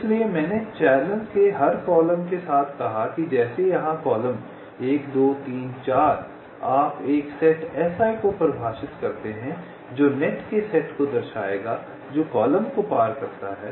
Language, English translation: Hindi, so so, as i said, along every column of this channel, like here column one, two, three, four, like this, you define a set, s i, which will denote the set of nets which cross column i